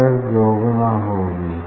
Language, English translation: Hindi, error will be twice